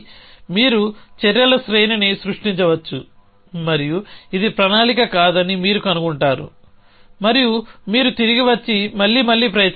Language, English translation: Telugu, It you may produce a series of actions and you will find it not a plan and then you come back and try again essentially